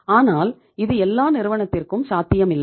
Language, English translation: Tamil, But this is not possible for every company